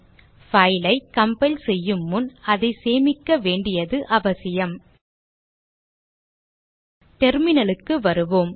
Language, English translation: Tamil, It is necessary to save the file before compiling Let us go back to the Terminal